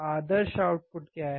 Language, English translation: Hindi, what is the ideal output